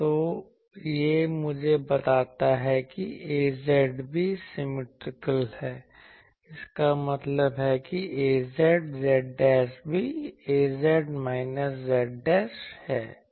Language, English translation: Hindi, So, this tells me that A z is also symmetrical in z dashed that means A z z dashed is also A z minus z dash